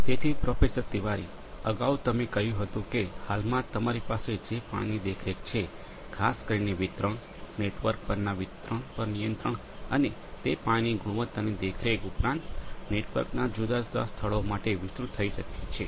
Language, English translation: Gujarati, So, Professor Tiwari, earlier you said that at present what you have is the water monitoring particularly with respect to distribution, control over the distribution over the network and can it be extended for monitoring the water quality as well at different points of the network